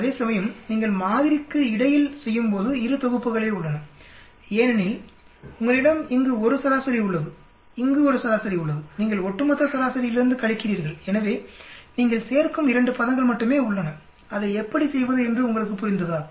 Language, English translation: Tamil, Whereas when you are doing between sample there are only 2 sets because you have a mean here, you have a mean here, you are subtracting from the overall mean, so there are only 2 terms which you are adding, you understood how to do that